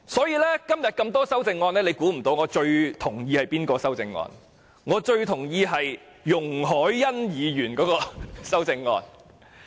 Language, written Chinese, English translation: Cantonese, 在今天眾多修正案中，大家或許猜不到我最同意的是哪項修正案。, Perhaps Members are unable to tell which of the various amendments today is the most agreeable to me